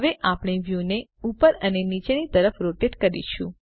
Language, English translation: Gujarati, Now we rotate the view up and down